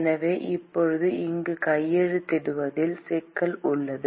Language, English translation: Tamil, So, there is now issue with sign here